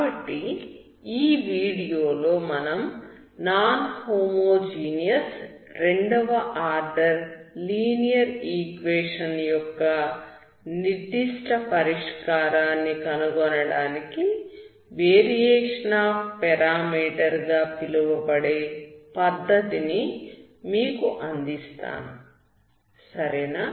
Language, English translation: Telugu, So in this video we will give you the method called the variation of parameters to find the particular solution of a non homogeneous second order linear equation, okay